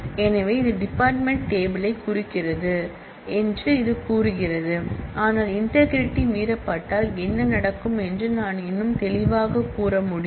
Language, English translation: Tamil, So, this just says that this refers to the department table, but I can be more specific to say what will happen if the integrity gets violated